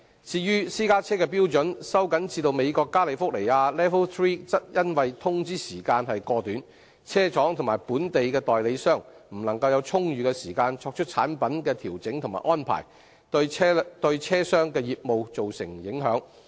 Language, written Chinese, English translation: Cantonese, 至於私家車的標準收緊至美國加利福尼亞 LEV III 則因通知時間過短，車廠及本地代理商未能有充裕時間作出產品的調整和安排，對車商的業務造成影響。, Pushing it through would result in serious impact on the transport trades . As to the tightening of standards for private cars to California LEV III of the United States vehicle manufacturers and local dealers were not allowed adequate time to make adjustments and arrangements in relation to their products given the short notice thereby affecting the business of vehicle suppliers